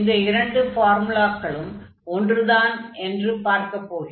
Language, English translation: Tamil, So, these two formulas are same, they are not different